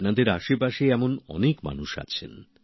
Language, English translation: Bengali, There must be many such people around you too